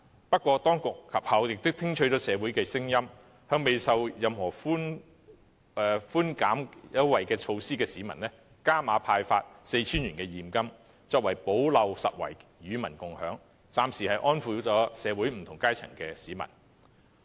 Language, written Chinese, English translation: Cantonese, 不過，當局及後聽取了社會的聲音，向未受惠任何寬減措施的市民加碼派發 4,000 元現金，作為補漏拾遺，與民共享經濟成果，暫時安撫了社會不同階層的市民。, Nevertheless after listening to the views in the community later the authorities proposed an additional measure of handing out 4,000 cash to members of the public not benefiting from any relief measures so as to plug the gaps in the system and share the fruits of economic success with the people thus placating the people in different social strata for the moment